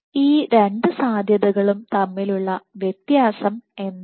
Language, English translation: Malayalam, So, what is the difference between these two possibilities